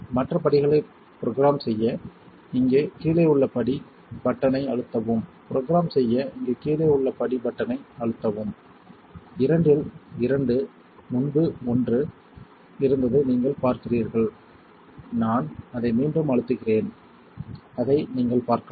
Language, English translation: Tamil, To program the other steps you hit the step button under here you see two out of two earlier was one out of one I will press it again so you can see it